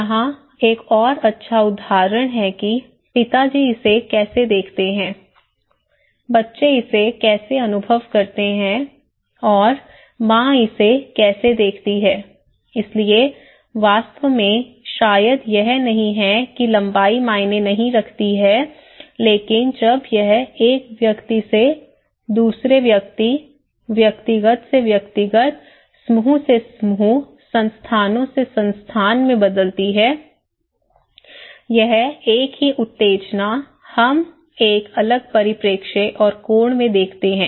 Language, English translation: Hindi, Here is another good example that how dad sees it, how the kid experience it and how mom sees it, so itís not actually maybe that does not matter the length but when it varies from person to person, individual to individual, group to group, institution to institutions, this same stimulus we see in a different perspective, in a different angle